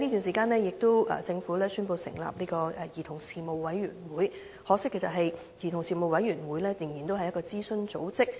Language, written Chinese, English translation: Cantonese, 政府亦在這段時間宣布成立兒童事務委員會，可惜的是這個委員會仍然只屬諮詢組織。, Meanwhile the Government has announced the establishment of the Commission on Children . Regrettably the Commission remains an advisory body